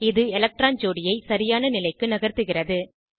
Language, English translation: Tamil, It moves the electron pair to the correct position